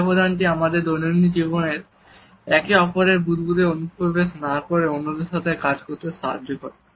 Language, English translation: Bengali, This is the buffer which allows us to continue our day to day functioning along with others without intruding into each other’s bubble